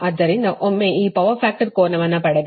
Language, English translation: Kannada, so this is that your power factor angle